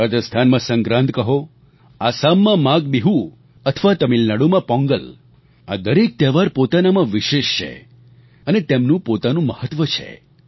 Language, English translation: Gujarati, In Rajasthan, it is called Sankrant, Maghbihu in Assam and Pongal in Tamil Nadu all these festivals are special in their own right and they have their own importance